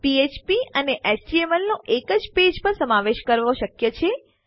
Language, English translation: Gujarati, It is possible to incorporate Php and HTML on one page